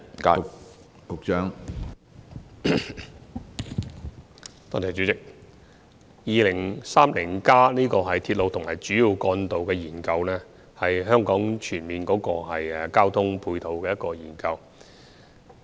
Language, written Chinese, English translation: Cantonese, 主席，《香港 2030+》的鐵路和主要幹道研究，是香港全面交通配套的研究。, President RMR2030 Studies under Hong Kong 2030 Study are holistic studies on the transport facilities in Hong Kong